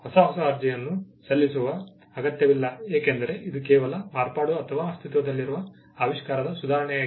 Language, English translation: Kannada, There is no need to file a fresh new application because, it is just a modification or an improvement over an existing invention